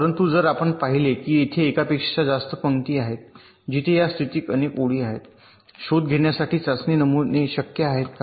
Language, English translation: Marathi, but if you had seen that there are more than one rows where this condition holds, then several test patterns are possible for detection